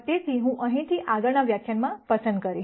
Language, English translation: Gujarati, So, I will pick up from here in the next lecture Thank you